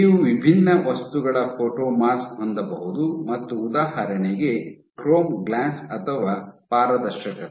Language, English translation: Kannada, So, you can have photomask of different material example is chrome glass or even transparencies now